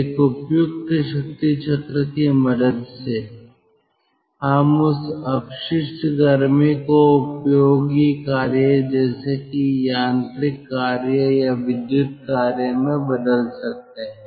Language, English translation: Hindi, with the help of a suitable power cycle we can convert that waste heat into useful work, into mechanical work or electrical work